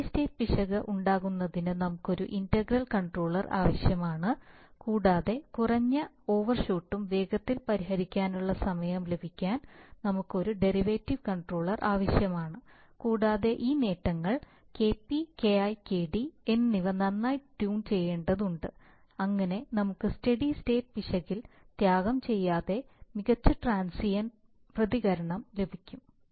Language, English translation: Malayalam, So we need a we need a proportional controller because if you do not have a proportional controller then there will be tend to be too much too much of oscillation we need an integral controller to have zero steady state error and we need to have a derivative controller to have low overshoot and fast settling time and we need to tune this gains Kp, Ki and Kd nicely so that we get a good transient response without sacrificing on the zero steady state error